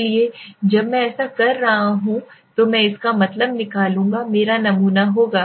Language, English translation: Hindi, So when I am doing this what I will do out of that means 1540 will be my sample